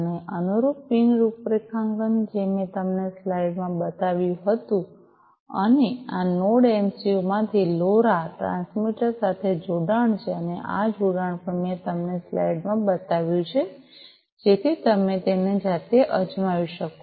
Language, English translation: Gujarati, And the corresponding pin configuration I had shown you in the slide, and from this Node MCU, there is a connection to this LoRa transmitter, and this connection also I have shown you in the slide, so you can try it out yourselves